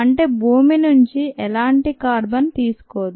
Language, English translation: Telugu, that is, it doesnt take any carbon from the earth